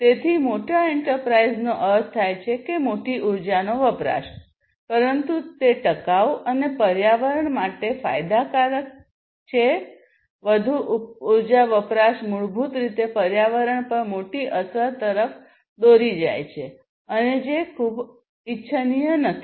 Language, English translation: Gujarati, So, larger enterprise means larger energy consumption, but that is not something that is sustainable and that is not something that can that is beneficial for the environment more energy consumption basically leads to bigger impact on the environment and which is not very desirable